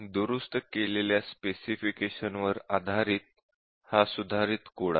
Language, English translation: Marathi, So, this is the corrected code based on the corrected specification